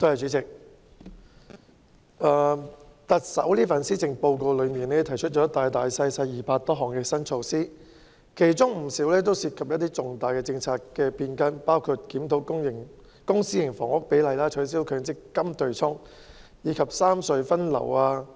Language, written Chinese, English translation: Cantonese, 主席，特首在這份施政報告提出了200多項新措施，其中不少涉及一些重大的政策變更，包括檢討公私營房屋比例、取消強積金對沖安排及三隧分流等。, President the Chief Executive proposed more than 200 new initiatives in the Policy Address and quite a number of them involve major policy changes including reviewing the public - private housing split abolishing the arrangement for offsetting severance payment and long service payment with MPF benefits and redistributing traffic among the three tunnels